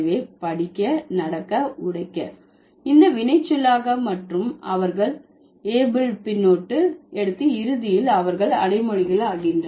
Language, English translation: Tamil, So, read, walk, break, these are the verbs and they take the able suffix and eventually they become adjectives